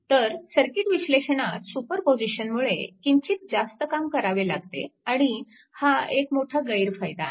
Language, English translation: Marathi, So, circuit analysis superposition may very lightly involved more work and this is a major disadvantage